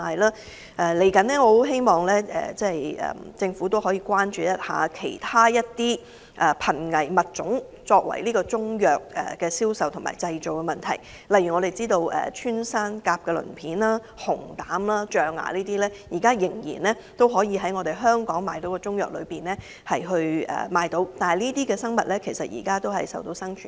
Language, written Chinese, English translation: Cantonese, 展望將來，我希望政府能關注其他瀕危物種被製成中藥作銷售用途的問題，例如我們所知的穿山甲鱗片、熊膽和象牙等仍被當作中藥在港出售，供市民購買，但這些生物現時亦瀕臨絕種。, Looking forward to the future I hope that the Government will also address the problem of some endangered species being used for manufacturing Chinese medicines for sale . For instance some Chinese medicines that are available for sale in Hong Kong contain pangolin scales bear biles and ivory which are all body parts of endangered animals